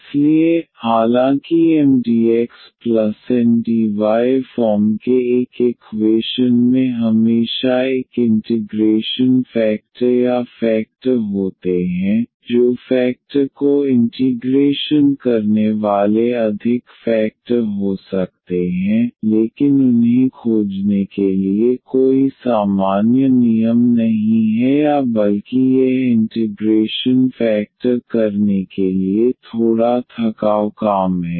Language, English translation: Hindi, So, although an equation this of the form Mdx plus Ndy always has an integrating factor or factors there could be more factor integrating factors, but there is no a general rule for finding them or rather it is a little bit tedious job to find this integrating factor